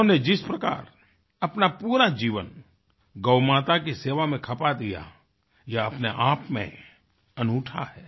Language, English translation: Hindi, The manner he has spent his entire life in the service of Gaumata, is unique in itself